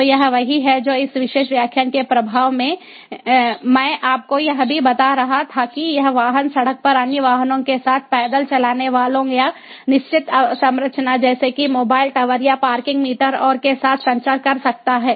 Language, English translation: Hindi, so this is what, at the very outset of this particular lecture, i was also telling you that this vehicle can communicate with the pedestrians on the way, with the other vehicles on the road or with fixed infrastructures such as mobile towers or parking meters and so on